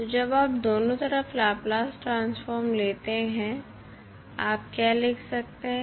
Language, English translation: Hindi, So, when you take the Laplace transform on both sides, what you can write